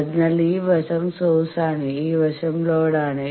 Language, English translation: Malayalam, So, this side is source, this side is load